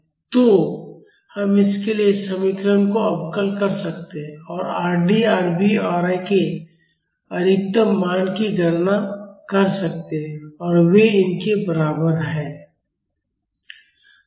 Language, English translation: Hindi, So, we can differentiate the expressions for this and calculate the maximum value of Rd, Rv and Ra and they are equal to these